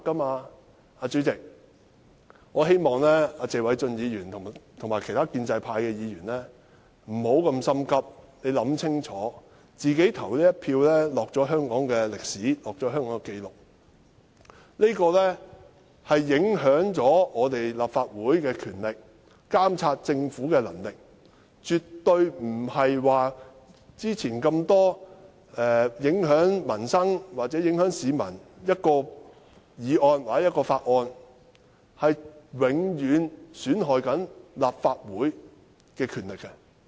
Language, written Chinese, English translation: Cantonese, 代理主席，我希望謝偉俊議員及其他建制派議員不要過於心急，請考慮清楚，因為他們即將投的一票將會記錄在香港歷史中，這將影響立法會監察政府的權力、能力，跟以往眾多影響民生或市民的議案或法案絕不一樣，會永久損害立法會的權力。, Please think very clearly because how they vote will be recorded in the history of Hong Kong . The voting results will have great impact on the Legislative Councils power and capacity to monitor the Government . Unlike the numerous motions or bills that affect peoples livelihood or members of the public in the past the powers of the Legislative Council will be permanently compromised